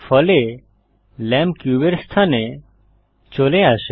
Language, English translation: Bengali, As a result, the lamp moves to the location of the cube